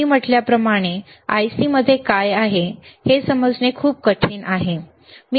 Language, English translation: Marathi, Llike I said, it is very difficult to understand what is within the IC, right